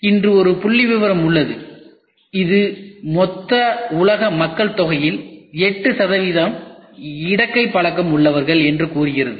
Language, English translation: Tamil, Today there is a statistics which says about 8 percent of the total world population are left handers